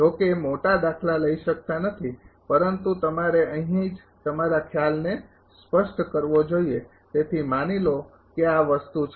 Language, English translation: Gujarati, Although, bigger problem cannot be taken but you should make your concept clear at the here itself right so, suppose this is the thing